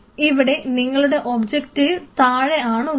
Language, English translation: Malayalam, So, objective is from the bottom